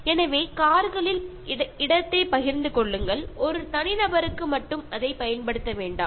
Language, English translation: Tamil, So, share the space in cars, do not use it only for an individual